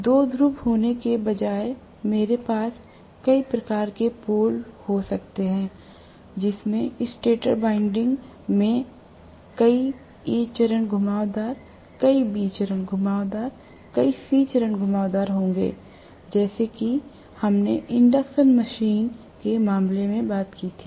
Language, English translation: Hindi, Instead, of having two poles I can also have multiple number of poles in which case the stator winding will also have multiple A phase winding, multiple B phase winding, multiple C phase winding like what we talked about in the case of induction machine